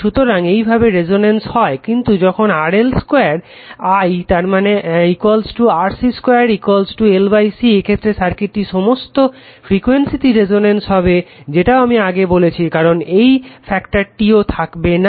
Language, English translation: Bengali, So, this way resonant will happen right, but when RL squareI mean is equal to RC square is equal to L by C the circuit is resonant at all frequencies right that also I told you because that factor tau will vanish right